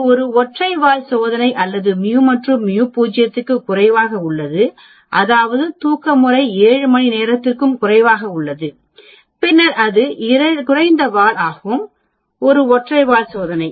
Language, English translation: Tamil, That is a single tail test or mu is less than mu naught that means, sleeping pattern is less than 7 hours there is a decrease then it is a lower tail again it is a single tailed test